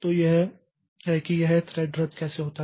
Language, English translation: Hindi, So, this is how this thread cancellation takes place